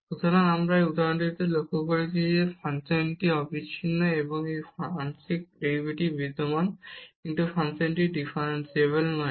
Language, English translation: Bengali, So, what we have observed in this example, that the function is continuous and it is partial derivatives exist, but the function is not differentiable